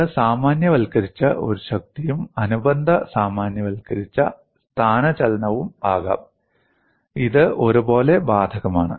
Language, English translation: Malayalam, It could also be a generalized force and corresponding generalized displacement; it is equally applicable